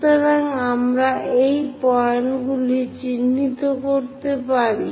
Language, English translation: Bengali, So, we can mark these points